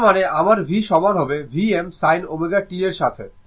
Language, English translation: Bengali, That means, my v is equal to, right